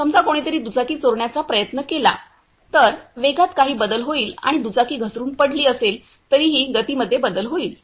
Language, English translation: Marathi, Suppose someone else try to steal the bike, then there will be some change in motion and also if the bike has fallen away, then also there will be some change in motion